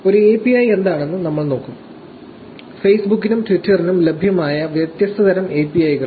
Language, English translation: Malayalam, We will look at what an API is; different kinds of APIs that are available for Facebook and Twitter